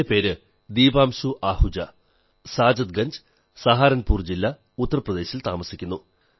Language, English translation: Malayalam, I live in Mohalla Saadatganj, district Saharanpur, Uttar Pradesh